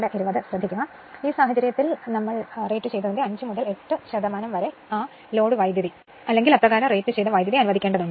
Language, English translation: Malayalam, Now, in this case 5 to 8 percent of the rated is required to allow that your full load current or your rated current